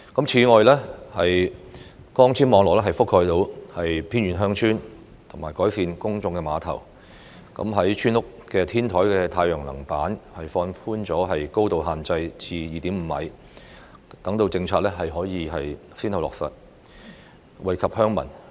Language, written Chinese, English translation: Cantonese, 此外，擴展光纖網絡覆蓋範圍至偏遠鄉村、就公眾碼頭進行改善工程，以及放寬村屋天台太陽板高度限制至 2.5 米等政策，亦先後落實，惠及鄉民。, In addition such policies as extending fibre - based networks to villages in remote areas carrying out improvement works at public piers and relaxing the height restriction to 2.5 m in relation to the installation of solar panels at the rooftop of village houses have also been implemented successively to benefit the villagers